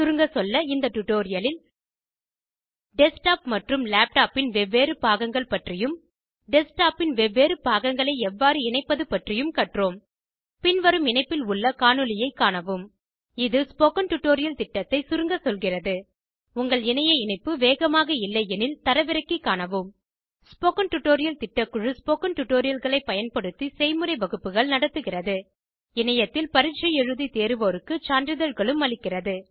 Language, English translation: Tamil, In this tutorial we have learnt about the various components of a desktop and laptop and how to connect the various components of a desktop Watch the video available at the following link It summaries the Spoken Tutorial project If you do not have a good bandwidth you can download and watch it The Spoken Tutorial project team conducts workshops using spoken tutorials